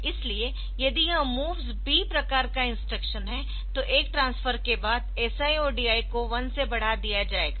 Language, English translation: Hindi, So, if it is MOVS B type of instruction then after doing one transfer this SI and DI will be incremented by 1